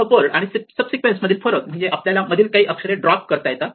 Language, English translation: Marathi, So, the difference between a subword and a subsequence is that we are allowed to drop some letters in between